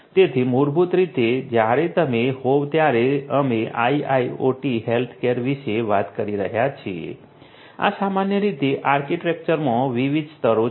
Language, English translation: Gujarati, So, basically you know when you are we are talking about IIoT healthcare, these are broadly the different layers in the architecture